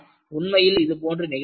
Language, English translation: Tamil, In fact, that is what has happened